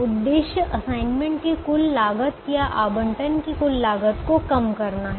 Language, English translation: Hindi, the objective is to minimize the total cost of assignment or total cost of allocation